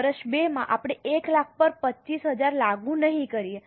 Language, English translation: Gujarati, In year 2, we will not apply 25,000 on 1 lakh